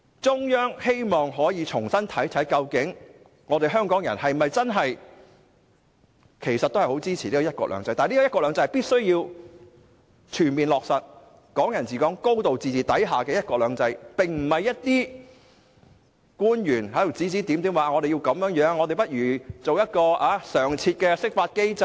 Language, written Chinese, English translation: Cantonese, 中央希望重新評估香港人是否真正支持"一國兩制"，但"一國兩制"必須建基於全面落實"港人治港"和"高度自治"，而不應由內地官員指指點點，說不如設立一個常設的釋法機制等。, The Central Authorities want to assess anew whether Hong Kong people genuinely support one country two systems . However one country two systems must be premised on the full implementation of Hong Kong people ruling Hong Kong and a high degree of autonomy instead of being directed by Mainland officials making comments such as establishing a standing mechanism for interpreting the Basic Law